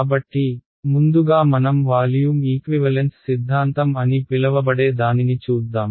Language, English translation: Telugu, So, first we look at what is called the volume equivalence theorem